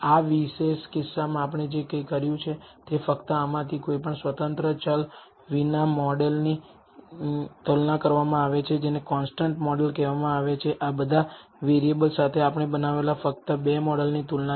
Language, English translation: Gujarati, What we have done in this particular case is only compare the model with out any of these independent variables which is called the constant model with all of these variables included that is the only two model comparisons we have made